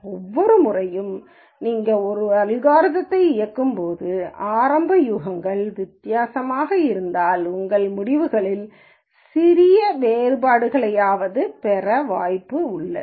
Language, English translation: Tamil, So, every time you run an algorithm if the initial guesses are different you are likely to get at least minor differences in your results